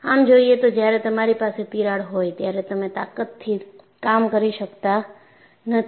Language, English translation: Gujarati, So, obviously, when you have a crack you cannot operate with that strength